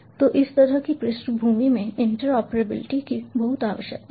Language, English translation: Hindi, so interoperability is very much required in this kind of backdrop